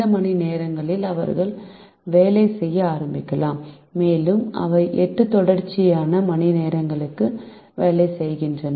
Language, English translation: Tamil, they can start working on any of these hours and their work for eight consit continuous hours